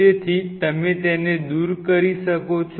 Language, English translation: Gujarati, So, you can remove it